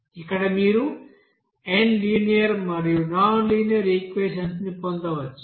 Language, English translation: Telugu, So there you may get that n number of linear and nonlinear equations